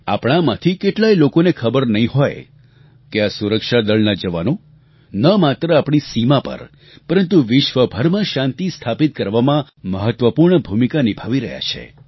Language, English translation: Gujarati, Many of us may not be aware that the jawans of our security forces play an important role not only on our borders but they play a very vital role in establishing peace the world over